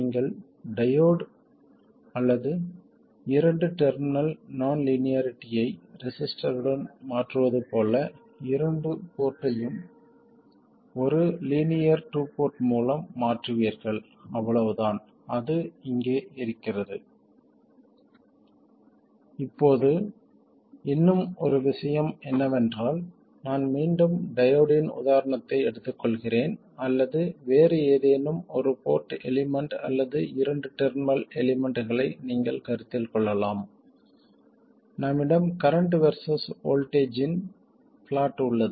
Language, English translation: Tamil, So just like you replace a diode or a two terminal non linearity with a resistor, you will replace a 2 port with a linear 2 port so that's all that's there to it now one more thing is we know that let me again take the example of a diode or you could consider any other one port element or a two terminal element we have the plot of current versus voltage and we know that for a diode it is something like that and let's say it is biased at a current or the operating point current is 1 millam